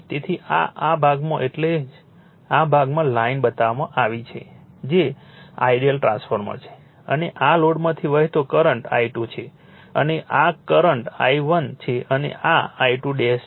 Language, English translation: Gujarati, So, this at this portion that is why by dash line in this portion is shown by ideal transformer, right and current flowing through this load is I 2 and this current is I 1 and this is I 2 dash